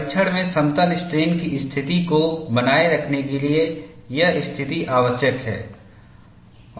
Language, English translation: Hindi, This condition is necessary to maintain plane strain situation in the testing